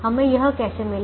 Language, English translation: Hindi, how did we get this